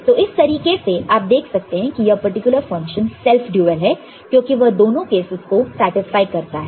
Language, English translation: Hindi, So, that way you can see that this particular function is self dual because it satisfies both the cases, ok